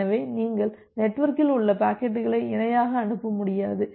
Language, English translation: Tamil, So, you will not be able to parallely transmit the packets in the network